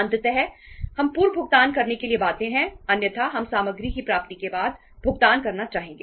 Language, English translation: Hindi, Ultimately, we are compelled to make the prepayments otherwise we would like to make the payment after the receipt of the material